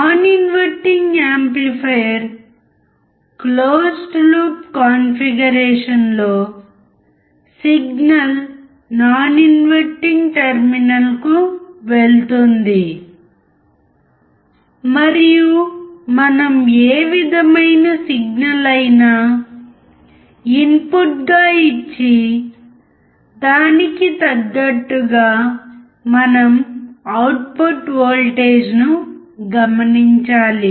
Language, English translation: Telugu, In non amplifier close loop configuration, the signal will go to the non inverting terminal, and whatever signal we are giving as input, we have to check the output voltage